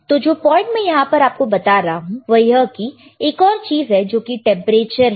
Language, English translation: Hindi, But anyway, the point that I am making here is, now we have one more thing which is your temperature